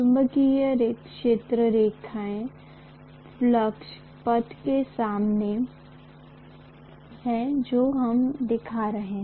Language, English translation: Hindi, Magnetic field lines are the same as the flux path that we are showing